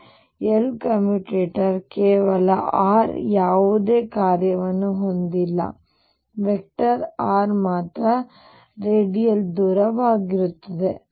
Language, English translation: Kannada, So, L would commute or its commutator with any function of r alone not r vector r alone the radial distance is going to be 0